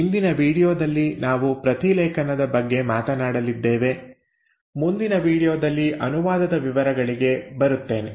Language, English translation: Kannada, Now in today’s video we are going to talk about transcription, I will come to details of translation in the next video